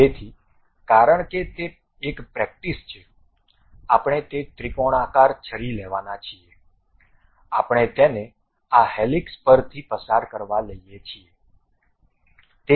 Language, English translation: Gujarati, So, because it is a practice, we what we are going to take is a triangular knife, we take it pass via this helix